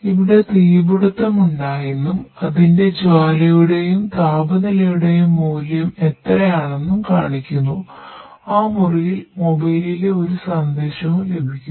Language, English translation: Malayalam, Here this show that fire broke out and what is the flame value and temperature value of that can that room and also get to also get a message in the mobile